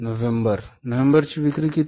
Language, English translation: Marathi, November sales are how much